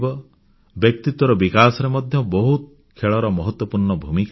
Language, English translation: Odia, Sports play an important role in personality development also